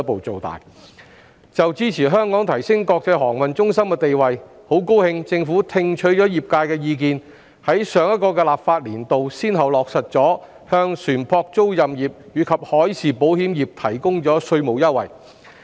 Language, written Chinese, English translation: Cantonese, 就支持香港提升國際航運中心地位，很高興政府聽取了業界意見，於上一個立法年度先後落實向船舶租賃業及海事保險業提供稅務優惠。, As regards the support for Hong Kong in enhancing its status as an international aviation hub I am very pleased that the Government has really listened to the views of the industry and implemented tax concessions for the ship leasing business and marine insurance business in the last legislative session